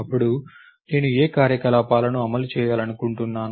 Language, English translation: Telugu, Then, what are the operations I want to implement